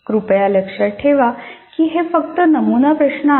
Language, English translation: Marathi, Once again, please remember these are only sample set of problems